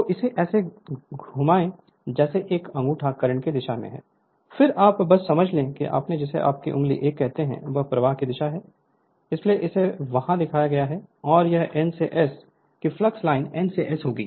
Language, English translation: Hindi, So, move it like this thumb is the direction of the current, then you just grasp that your what you call the finger 1, this is the direction of the flux that is why this is shown here, that is why this is shown here right, and this N to S that flux line will be N to S